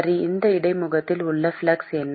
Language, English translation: Tamil, Okay, what is the flux at that interface